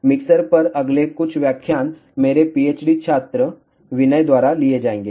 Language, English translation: Hindi, Next few lectures on mixer will be taken by my Ph